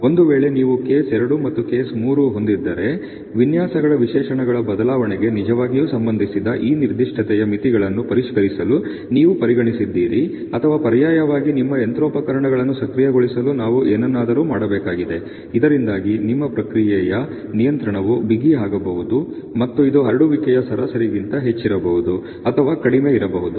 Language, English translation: Kannada, And in case you have a case two case three then you have either consider revising these specification limits which is really related to change of the designs specs or alternately we have do something to enable your machinery, so that your process control can become tighter, and it can be over the mean in the spread can be less